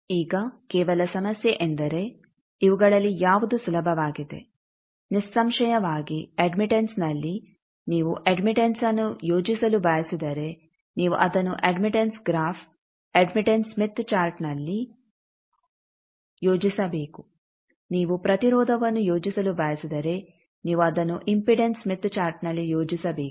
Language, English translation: Kannada, Now only problem now out of this which one is easier, obviously in admittance if you want to plot an admittance you should plot it into admittance graph, admittance smith chart, if you want to plot impedance you should plot it in impedance smith chart